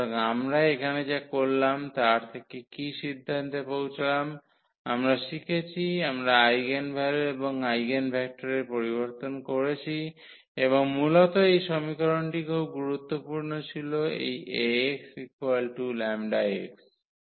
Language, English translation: Bengali, So, coming to the conclusion what we have done here, we have studied, we have introduced the eigenvalues and eigenvector and basically this equation was very important this Ax is equal to lambda x